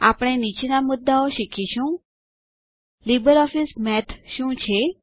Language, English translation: Gujarati, We will learn the following topics: What is LibreOffice Math